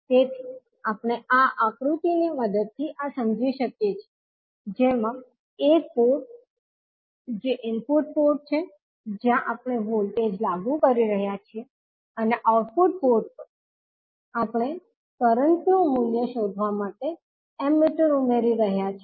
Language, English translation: Gujarati, So, we can understand this with the help of this figure in which at one port that is input port we are applying the voltage and at the output port we are adding the Ammeter to find out the value of current